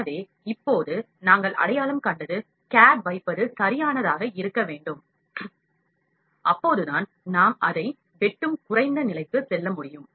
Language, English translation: Tamil, So now, what we identified that the placing of the cad has to be proper, only then we can go to less level it is slicing, ok